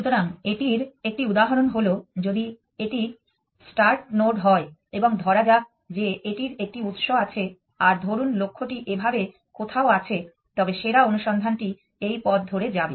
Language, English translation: Bengali, So, an example of that is if this is the start node and it has let us say some source and the goal is somewhere here then it slightly that this best of search will go along this path